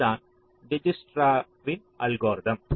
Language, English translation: Tamil, now what dijkstras algorithm says